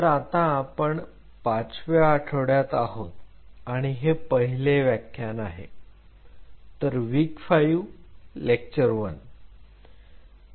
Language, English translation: Marathi, So, we are into Week 5 and today is Lecture 1 so, W5 L1